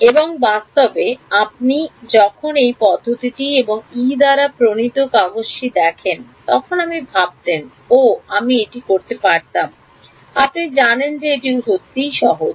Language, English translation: Bengali, And in fact when you look at this method and the paper as formulated by Yee you would think; oh I could have done this, you know it is really that simple